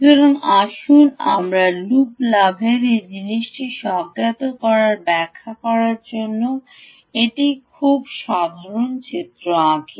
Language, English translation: Bengali, so let's just put on a very simple diagram to intuitively explain again this thing of ah loop gain